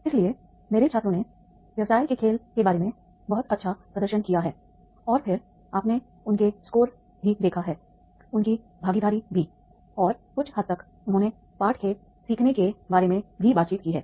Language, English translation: Hindi, So, my students have demonstrated very well about the business game and then you have seen their scores also, their participation also and somewhat they have talked about the lessons of learning also